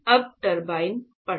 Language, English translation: Hindi, Turbines reading that